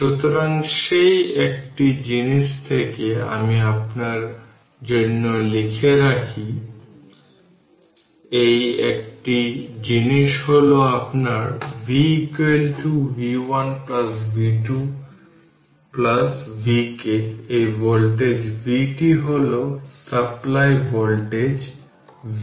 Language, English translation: Bengali, V is equal to v 1 plus v 2 plus v k plus v n right this is your what you call that voltage v this is the supply voltage v right